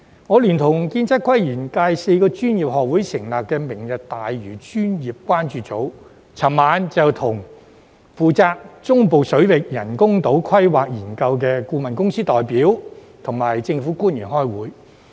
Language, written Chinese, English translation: Cantonese, 我聯同建築、測量、都市規劃及園境界4個專業學會成立的"明日大嶼專業關注組"，昨晚與負責中部水域人工島規劃研究的顧問公司代表及政府官員開會。, Last night the Lantau Tomorrow Professionals Concern Group set up by me in collaboration with the four professional institutes in the Engineering Architectural Surveying Town Planning and Landscape Sectors held a meeting with the representatives from the consultancy firm and government officials responsible for the planning studies for artificial islands in the central waters